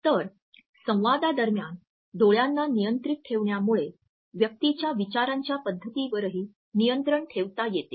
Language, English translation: Marathi, So, controlling eyes during the dialogue also controls the thought patterns of the other person